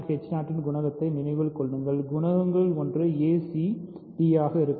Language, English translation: Tamil, Remember the coefficient of c d g 0 h 0 one of the coefficients will be a c d